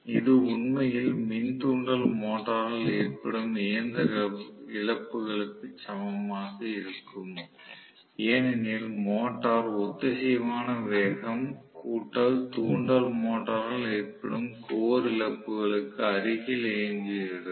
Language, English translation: Tamil, This will be actually equal to the mechanical losses incurred by the induction motor because the motor is running close to the synchronous speed plus the core losses incurred by the induction motor